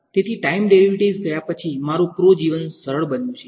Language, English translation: Gujarati, Since the time derivatives have gone, my pro life has become easier